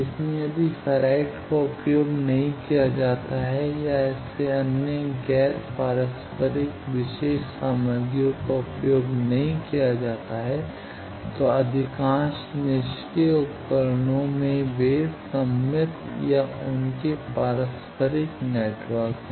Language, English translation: Hindi, So, if ferrite is not used or other such non reciprocal special materials not used, in most of the passive devices they are symmetric or their reciprocal network